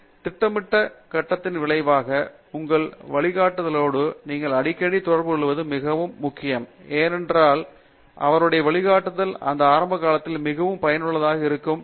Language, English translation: Tamil, So, as a result during the planning stage it is very essential that you are in touch with your guide a more frequently because his guidance becomes very useful in that initial period